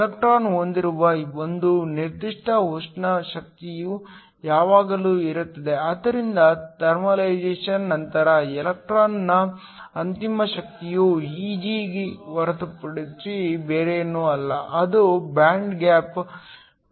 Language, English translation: Kannada, There is always a certain thermal energy which the electron will possess, so the final energy of the electron after thermalization is nothing but Eg which is the band gap +3/2kT